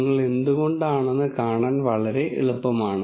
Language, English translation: Malayalam, It is very easy to see why this might be